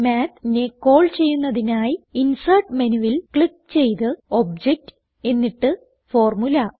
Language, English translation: Malayalam, Now let us call Math by clicking Insert menu, then Object and then Formula